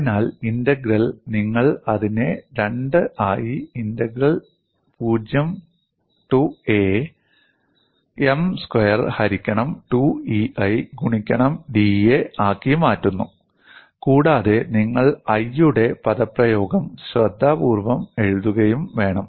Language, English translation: Malayalam, So, the integral you replace it as 2 into integral 0 to a M square by 2 E I into da, and you should also write this expression for I carefully